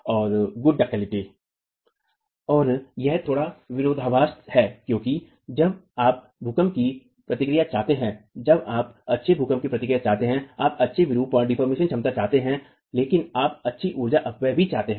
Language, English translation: Hindi, And that's a little bit of a paradox because when you have earthquake response, when you want good earthquake response, you want good deformation capacity but you also want good energy dissipation